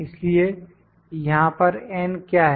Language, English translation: Hindi, So, what is n here